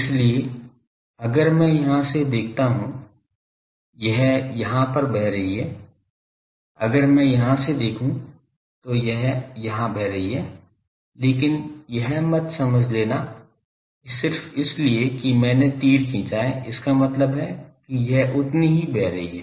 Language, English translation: Hindi, So, if I look from here it is flowing here, if I look from here, it is flowing here, but do not assume that just because I have drawn arrows means it is equally flowing